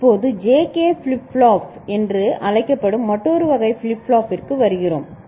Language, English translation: Tamil, Now, we come to another type of flip flop which is called JK flip flop